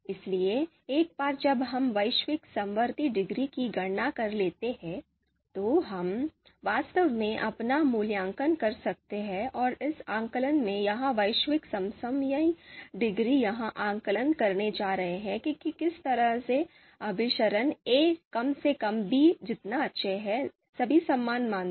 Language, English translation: Hindi, So once we compute the global concordance degree, then we can actually make the you know our assessment you know and this global concordance degree in that assessment is going to measure how concordant the assertion a is at least as good as b is with respect to all the criteria